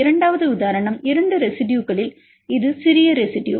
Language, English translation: Tamil, The second example if there are 2 residues and this is small residue